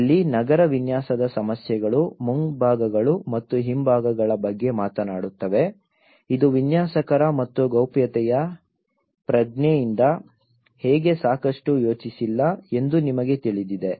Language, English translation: Kannada, Here, the urban design issues talks about the fronts and backs you know how it is not sufficiently thought by the designers and a sense of privacy